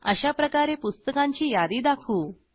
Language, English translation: Marathi, This is how we display the list of books